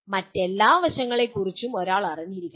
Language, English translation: Malayalam, One should be aware of all the other facets